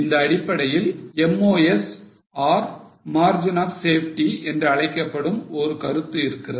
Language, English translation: Tamil, Now based on this there is a concept called as MOS or margin of safety